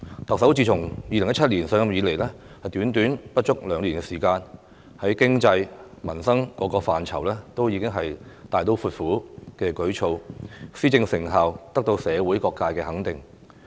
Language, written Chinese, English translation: Cantonese, 特首自2017年上任以來短短不足兩年時間，在經濟、民生各個範疇都有大刀闊斧的舉措，施政成效得到社會各界的肯定。, In the less than two years since she took office in 2017 the Chief Executive has introduced drastic measures in terms of the economy and peoples livelihood . The effectiveness of the administration is recognized by various sectors